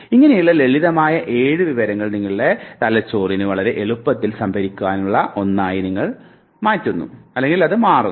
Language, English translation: Malayalam, So, simple 7 chunks now this is something that very easily your brain can store